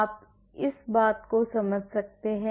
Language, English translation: Hindi, Do you understand this